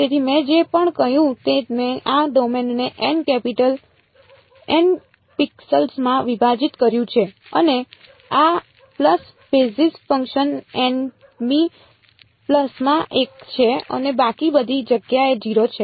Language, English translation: Gujarati, So, whatever I said I have divided this domain into N capital N pixels and this pulse basis function is 1 in the n th pulse and 0 everywhere else right